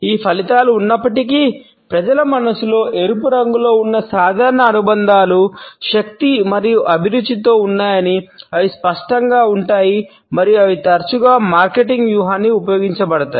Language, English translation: Telugu, Despite these findings we find that the normal associations in people’s mind of red are with energy and passion which remain vivid and are often used as marketing strategy